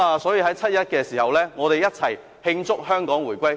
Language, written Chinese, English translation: Cantonese, 在七一時，我們一起慶祝香港回歸。, On 1 July let us celebrate Hong Kongs return to China together